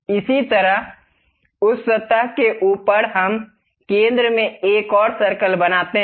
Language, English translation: Hindi, Similarly, on top of that surface, let us make another circle at center